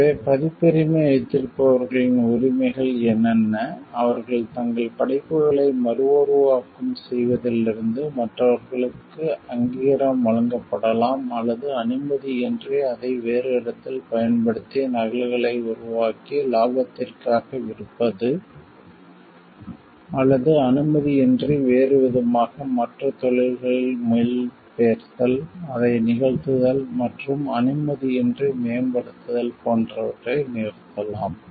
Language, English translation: Tamil, So, what are the rights of holders of copyrights are; they can authorize or stop others from reporting their work, using it elsewhere without taking permission creating copies and selling it for profit or otherwise, translating into other languages, performing it and enhancing it without permission etc